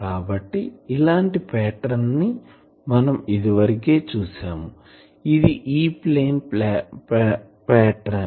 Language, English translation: Telugu, So, that pattern was we have already seen that pattern was like this so, this is the E plane pattern